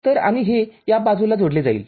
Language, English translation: Marathi, So, and it will get connected to this one, this side